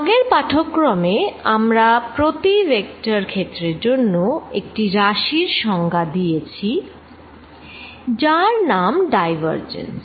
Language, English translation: Bengali, in the previous lecture, for every vector field we defined a quantity called the divergence